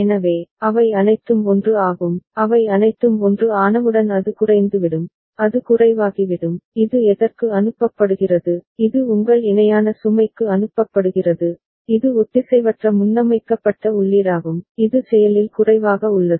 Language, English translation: Tamil, So, all of them are 1, it becomes low as soon as all of them are 1, it will become low and this is sent to what, this is sent to your parallel load that is asynchronous preset input which is active low ok